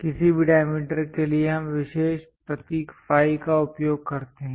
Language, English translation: Hindi, For any diameters we use special symbol phi